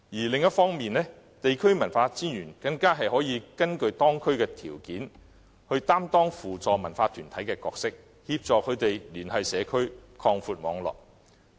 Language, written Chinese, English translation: Cantonese, 另一方面，地區文化專員更可根據當區的條件，擔當扶助文化團體的角色，協助他們聯繫社區，擴闊網絡。, On the other hand the local commissioners for culture can depending on the local conditions assume the role of a facilitator in helping the connection of cultural groups with the communities and their expansion of network